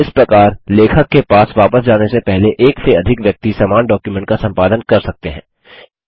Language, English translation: Hindi, Thus more than one person can edit the same document before it goes back to the author